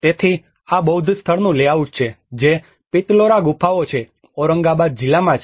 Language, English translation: Gujarati, \ \ \ So, this is the layout of a Buddhist site which is a Pitalkhora caves which is in the district of Aurangabad